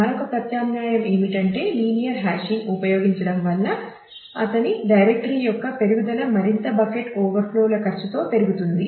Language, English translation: Telugu, So, another alternate is to use a linear hashing allows incremental growth of his directory at the cost of more bucket overflows of course,